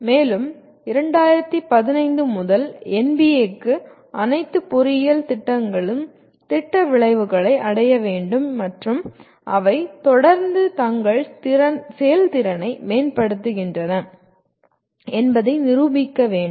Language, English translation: Tamil, And NBA since 2015 requires all engineering programs attain the program outcomes and demonstrate they are continuously improving their performance